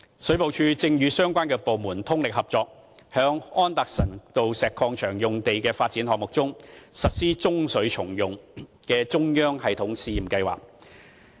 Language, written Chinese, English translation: Cantonese, 水務署正與相關部門通力合作，在安達臣道石礦場用地發展項目中，實施中水重用的中央系統試驗計劃。, The Water Supplies Department is working closely with the relevant departments to implement an experiment plan for a central system of grey water reuse in the development project at the Anderson Road Quarry site